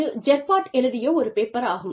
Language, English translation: Tamil, So, this is the paper, by Gerpott